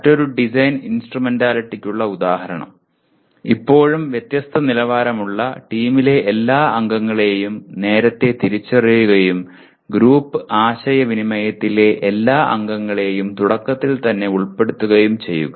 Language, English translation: Malayalam, For example another design instrumentality, still of a different quality, identify all members of the team early on and include every member in the group communications from the outset